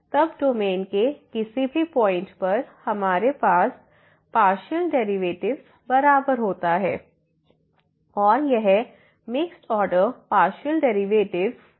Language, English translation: Hindi, Then at any point in the domain we have the partial derivatives equal; this mixed order partial derivatives equal